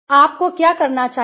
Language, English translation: Hindi, What should not you do